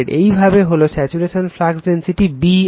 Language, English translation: Bengali, Thus is by is the saturation flux density B r